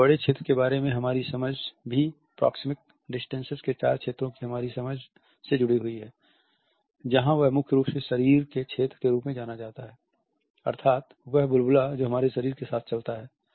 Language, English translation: Hindi, Our understanding of territory is also pretty much linked with our understanding of the four zones of proxemic distance, there is what is known primarily as the body territory which is the bubble which we carry around us